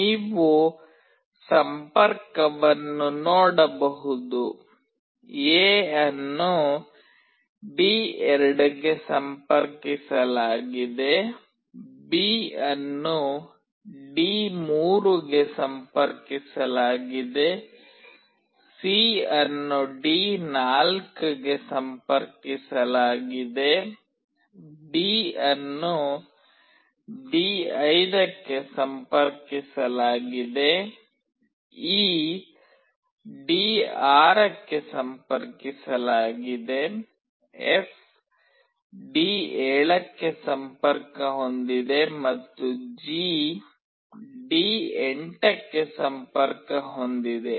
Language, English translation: Kannada, You can see the connection: A is connected to D2, B is connected to D3, C is connected to D4, D is connected to D5, E is connected to D6, F is connected to D7, and G is connected to D8